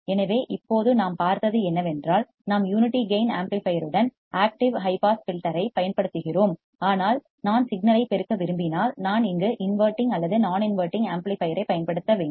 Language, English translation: Tamil, So, what we have seen now is that we are using active high pass filter with unity gain amplifier, but what if I want to amplify the signal then I need to use the inverting or non inverting amplifier here